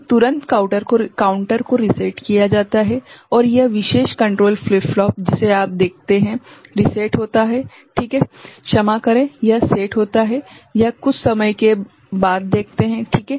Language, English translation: Hindi, So, immediately the counter is reset immediately, the counter is reset and this particular control flip flop that you see is reset ok, after sorry, it is set it is after sometime ok